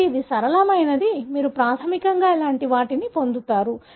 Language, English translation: Telugu, So, it is simplistic; so you would basically get something like this